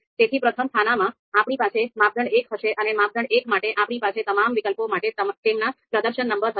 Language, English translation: Gujarati, So first column we are going to have criteria 1, and for the criteria 1, we are going to have performance numbers for all the alternatives